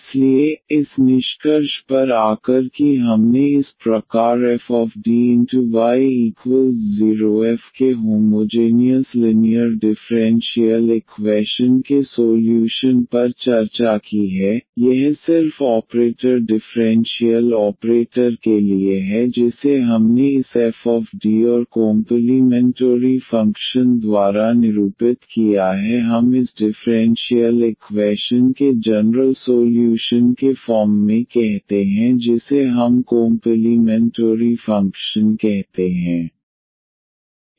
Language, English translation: Hindi, So, coming to the conclusion we have today discussed the solution of the homogeneous linear differential equation of this type f D y is equal to 0 this is just for the operator differential operator we have denoted by this f D and the complementary function which we call as the solution the general solution of this differential equation we call as complementary function